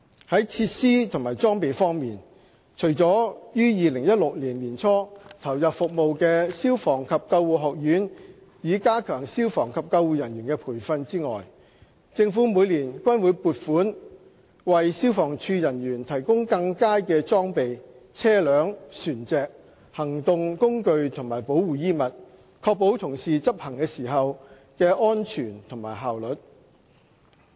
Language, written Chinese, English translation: Cantonese, 在設施和裝備方面，除了於2016年年初投入服務的消防及救護學院以加強消防及救護人員的培訓外，政府每年均會撥款為消防處人員提供更佳的裝備、車輛、船隻、行動工具和保護衣物，確保同事執勤時的安全及效率。, In terms of facilities and equipment apart from the Fire and Ambulance Services Academy which came into operation in early 2016 to enhance training for fire and ambulance personnel each year the Government allocates funding to provide better equipment vehicles vessels operational tools and protective clothing for FSD staff to ensure their safety and efficiency while performing duties